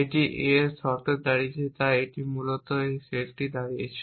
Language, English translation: Bengali, This stands of a conditions of A so this basically stands this set you is a subset of S